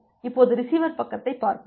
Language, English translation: Tamil, Now, let us look in to the receiver side